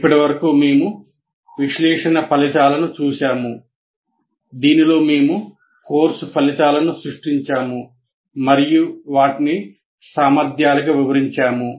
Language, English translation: Telugu, And in that we have till now seen the analysis phase in which we created the course outcomes and also elaborated them into competencies